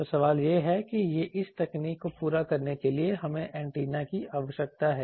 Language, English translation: Hindi, So, question is that to have this cater to this technology we need antennas